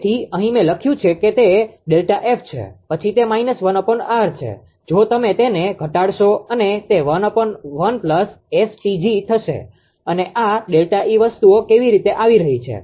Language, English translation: Gujarati, So, here I have written that it is delta F then it is minus 1 upon R if you reduce it and it will be 1 upon 1 plus ST g and this delta E how things are coming